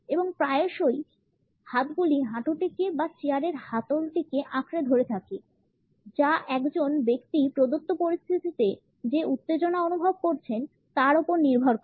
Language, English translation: Bengali, And often the hands are tightly gripping either the knees or arms of the chair; depending on the tension which a person is feeling in a given situation